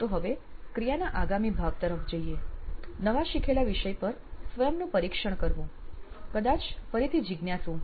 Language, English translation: Gujarati, So moving on to the after the activity part, testing himself on the newly learnt topic, probably again curious